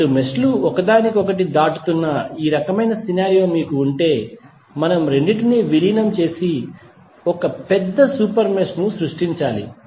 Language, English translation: Telugu, If you have this kind of scenario where two meshes are crossing each other we have to merge both of them and create a larger super mesh